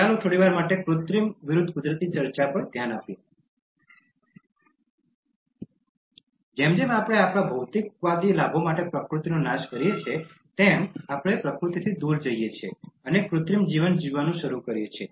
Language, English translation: Gujarati, Let us for a while look at the Artificial versus Natural debate: As we destroy nature for our materialistic gains, we move away from nature and start living an artificial life